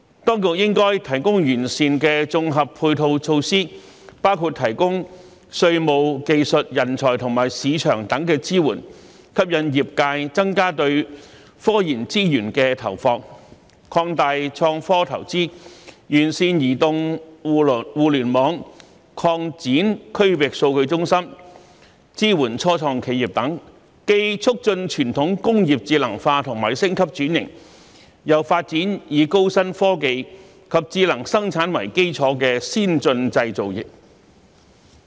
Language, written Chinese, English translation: Cantonese, 當局應提供完善的綜合配套措施，包括提供稅務、技術、人才和市場等支援，吸引業界增加對科研資源的投放，擴大創科投資，完善移動互聯網，擴展區域數據中心，支援初創企業等，既促進傳統工業智能化和升級轉型，又發展以高新科技及智能生產為基礎的先進製造業。, The Administration should provide comprehensive supporting measures including taxation technology talent and market supports to attract industrys investment in scientific research with a view to expanding the investment in innovation and technology improving mobile network further developing the regional data hub and supporting start - ups etc . The intelligentization upgrading and transformation of tradition industries should be promoted while advanced manufacturing based on new technologies and smart production should also be developed